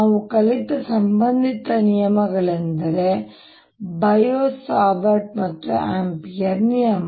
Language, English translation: Kannada, the related laws that we learnt are bio, savart and amperes law